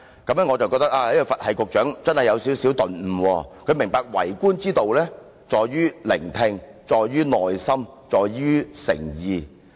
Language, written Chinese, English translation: Cantonese, 我以為這位"佛系局長"真的有所頓悟，明白為官之道在於聆聽，在於耐心，在於誠意。, I once thought that the Buddha - like Secretary had a moment of enlightenment and realized that the key to being a good government official is to listen be patient and sincere